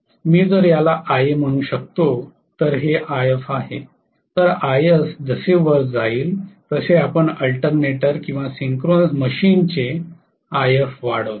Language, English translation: Marathi, If I may call this as Ia, this as If, Ia will go up as we increase If of the alternator or synchronous machine